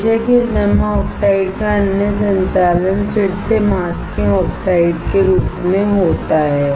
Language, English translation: Hindi, Of course, the other operation of this deposited oxide is again as masking oxides